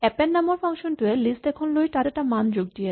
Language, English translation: Assamese, Append is a function which will take a list and add a value to it